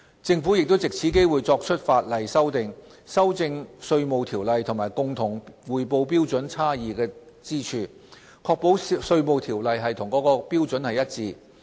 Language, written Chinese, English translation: Cantonese, 政府亦藉此機會作出法例修訂，修正《稅務條例》與共同匯報標準差異之處，確保《稅務條例》與該標準一致。, The Government has also taken the opportunity to make legislative amendments to ensure alignment of the Inland Revenue Ordinance with the common reporting standard by removing inconsistencies